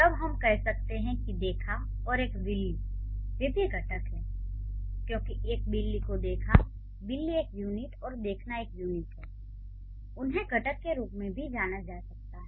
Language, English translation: Hindi, Then we can say saw and o' cat, they are also constituent because saw or cat, o' cat as one unit and saw as one unit, they can be also considered as constituents